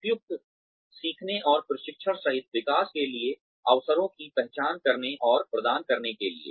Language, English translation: Hindi, To identify and provide opportunities, for development, including appropriate learning and training